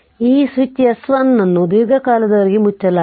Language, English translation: Kannada, So, this is this switch S 1 was closed for long time